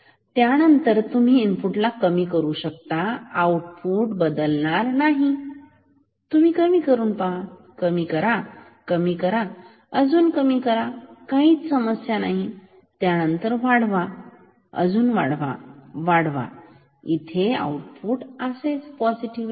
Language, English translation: Marathi, Then, you decrease the input, no problem output will not change you decrease, decrease, decrease, decrease no problem; then you increase, increase, increase, increase come here output will remain negative